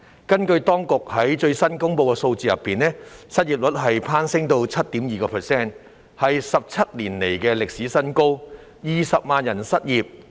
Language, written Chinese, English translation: Cantonese, 根據當局最新公布的數字，失業率攀升至 7.2%， 是17年來的歷史新高 ，20 萬人失業。, According to the latest figures released by the authorities the unemployment rate soared to 7.2 % a record high in 17 years with 200 000 people being unemployed